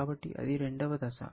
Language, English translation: Telugu, So, that is the second face